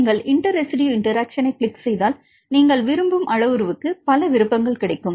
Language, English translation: Tamil, If you click on inter residue interactions right then you will get a several options which parameter you want